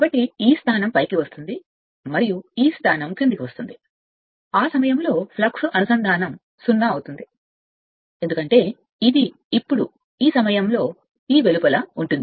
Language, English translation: Telugu, So, this position will come top and this position will come to the bottom at that time flux linkage will be 0, because this will be now at that time outside of this right